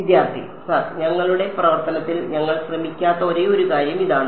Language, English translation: Malayalam, Sir this is the only thing we did not try with our function